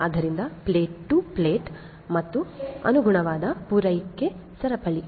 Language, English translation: Kannada, So, field to plate and the corresponding supply chain